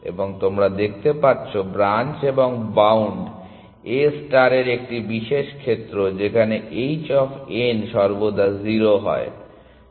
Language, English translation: Bengali, And you can see branch and bound is a special case of A star where h of n is always 0